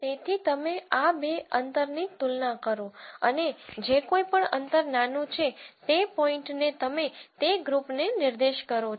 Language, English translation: Gujarati, So, you compare these two distances and whichever is a smaller distance you assign that point to that group